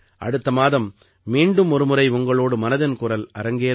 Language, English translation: Tamil, Next month, we will have 'Mann Ki Baat' once again